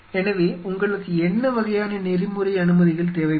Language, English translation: Tamil, So, what sort of ethical clearances you will be needing